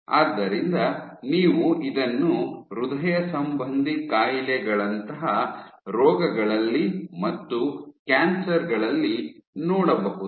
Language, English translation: Kannada, So, you have it in diseases in cardiovascular diseases and in cancers